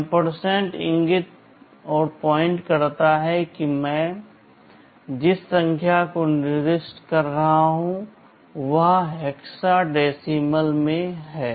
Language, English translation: Hindi, The ampersand indicates that the number I am specifying is in hexadecimal